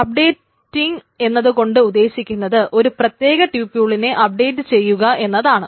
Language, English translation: Malayalam, Updating generally means that a particular tuple is updated of course